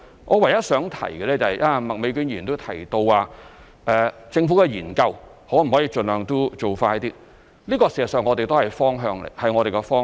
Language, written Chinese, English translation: Cantonese, 我唯一想提及的是，剛才麥美娟議員亦提到，政府的研究可否盡量做快點，這事實上亦是我們的方向。, The only point I would like to make which has also been mentioned by Ms Alice MAK earlier is whether the Governments study can be conducted more expeditiously . In fact this is also our direction